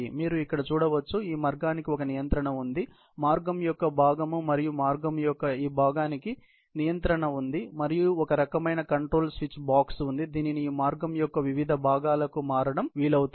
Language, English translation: Telugu, You can see here, there is a control for this path, part of the path, and there is and other control for this part of the path, and there is some kind of a control switch box, which would then be able to cater by switching on to different segments of this path